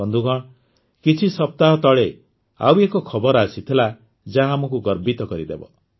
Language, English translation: Odia, Friends, a few weeks ago another news came which is going to fill us with pride